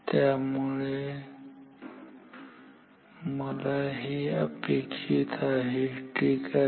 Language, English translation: Marathi, So, this is what I want ok